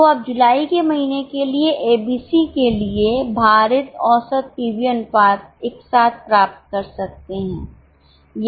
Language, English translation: Hindi, So, you can get the weighted average PV ratio for A, B, C together for the month of July or plan X1